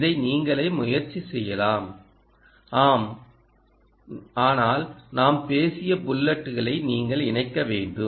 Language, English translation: Tamil, you can try this by yourself, but you have to connect the bullets that we spoke off in the previous ah ah